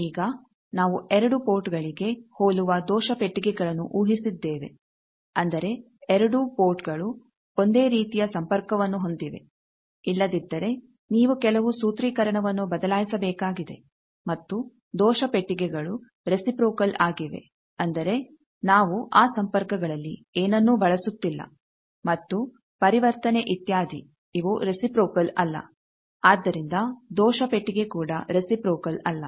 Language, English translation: Kannada, Also we have assume error boxes identical for both ports now that means, the both port there are identical connection, if not you need to change some of the formulation and also error boxes are reciprocal that means, we are not using anything in that connections and transition etcetera which is non reciprocal, so error box also a reciprocal